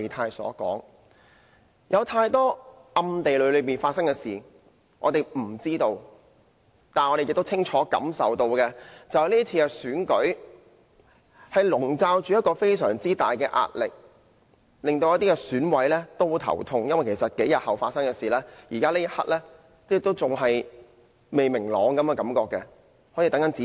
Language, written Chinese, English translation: Cantonese, 今次選舉有太多暗地裏發生的事，我們不知道，但我們亦清楚感受到，選舉籠罩着極大壓力，令一些選委非常苦惱，因為特首選舉數天後便會進行，但至今事情感覺上仍未明朗，好像仍在等待甚麼指示。, Suffice to say that for the present election many things are going on behind our back . And we can clearly sense that the entire election is being conducted under great pressures causing extreme anxiety on the part of some EC members because while the Chief Executive Election will take place a few days later there are still a lot of uncertainties as if people are still waiting for certain instructions